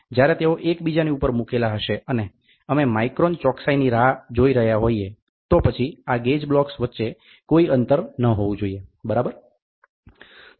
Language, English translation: Gujarati, When they are placed one above each other and we are looking forward for micron accuracy, then there should not be any gap between these gauge blocks, ok